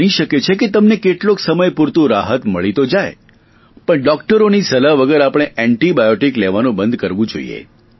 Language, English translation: Gujarati, It may give you temporary succor, but we should completely stop taking antibiotics without the advice of a doctor